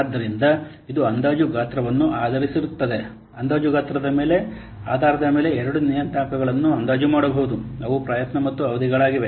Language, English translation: Kannada, So, it is based on the estimated size, based on the estimated size, two parameters are can be estimated